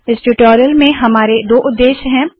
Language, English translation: Hindi, We have two objectives in this tutorial